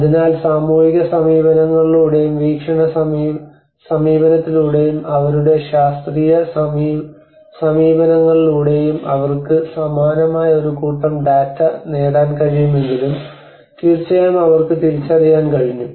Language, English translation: Malayalam, So by both by the social approaches and as perception approach and by their scientific approaches how they have able to get a similar set of data but of course they could able to identify